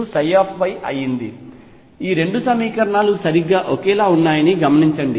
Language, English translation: Telugu, Notice that the 2 equations are exactly the same